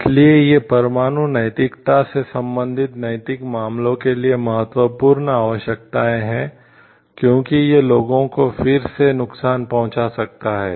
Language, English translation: Hindi, So, these are important requirements for like ethical, ethical issues with related with the nuclear ethics and, because this may cause again harm to people